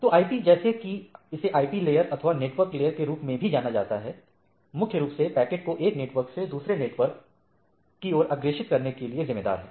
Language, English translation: Hindi, So, IP as such is IP layer or it is also known as the network layer is primarily responsible for forwarding packet from one network to another right